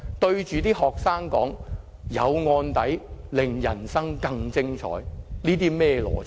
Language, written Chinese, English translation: Cantonese, 對學生說，有案底令人生更精彩，這又是甚麼邏輯？, What kind of logic is this? . Likewise what kind of logic is this to tell students that having criminal record can liven up their life?